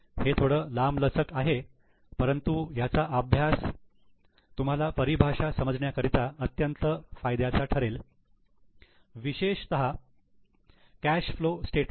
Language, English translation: Marathi, It is big longish but the study will be very much useful to you to understand the terminology, particularly the cash flow statement